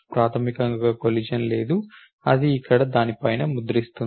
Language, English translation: Telugu, Basically there is no collision that occurs then it will print on no over there